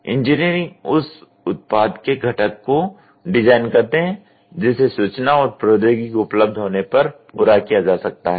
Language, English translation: Hindi, So, engineers design components of the products that can be completed as information and technology becomes available as and when you start doing it